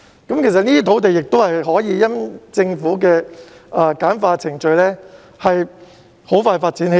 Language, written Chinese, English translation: Cantonese, 這些土地可以因政府簡化程序而很快發展起來。, With the Governments streamlined procedures in place these sites can be developed very quickly